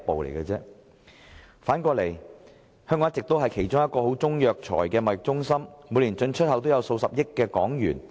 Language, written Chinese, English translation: Cantonese, 另一方面，香港一直是其中一個十分重要的中藥材貿易中心，每年進出口的中藥材價值數十億港元。, On the other hand Hong Kong has always been among the most important Chinese medicinal materials trade centres where the import and export of Chinese medicinal materials worth billions Hong Kong dollars every year